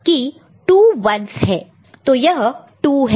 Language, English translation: Hindi, So, this is 2